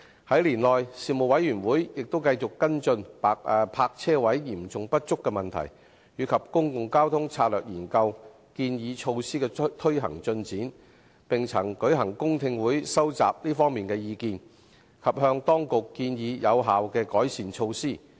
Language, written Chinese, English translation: Cantonese, 在年內事務委員會亦繼續跟進泊車位嚴重不足的問題及公共交通策略研究建議措施的推行進展，並曾舉行公聽會收集這方面的意見，以及向當局建議有效的改善措施。, In this year the Panel continued to follow up on the issue of serious shortage of parking spaces and the progress of implementing the measures recommended in the Public Transport Strategy Study . It also held public hearings to collect views on this front and recommended effective improvement measures to the Administration